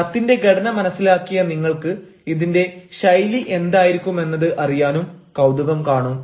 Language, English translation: Malayalam, having understood the format of the letter, you also might be curious to know what should be the style